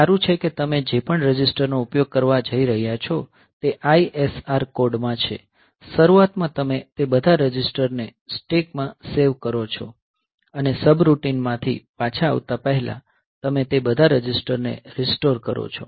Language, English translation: Gujarati, So, it is better that whatever register you are going to use in your ISR code; at the beginning you save all those registers in the stack and before coming back from the subroutine you just restore all those registers